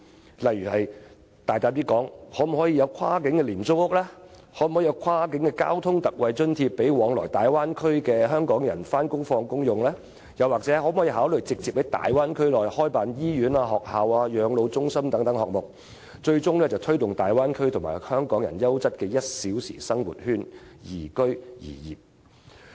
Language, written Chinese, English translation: Cantonese, 舉例說，我大膽建議政府考慮推出跨境廉租屋、為前往大灣區工作的香港人提供跨境交通特惠津貼，又或直接在大灣區內開辦醫院、學校、養老中心等設施，最終推動大灣區成為香港人優質的 "1 小時生活圈"，宜居宜業。, For instance I would boldly suggest that the Government should consider introducing a cross - boundary low - cost housing scheme providing an ex - gratia cross - boundary travel allowance for Hong Kong people commuting to the Bay Area for work or directly setting up such facilities as hospitals schools and elderly care centres in the Bay Area with a view to ultimately promoting the development of the Bay Area into a quality one - hour living circle for Hong Kong people to live and work in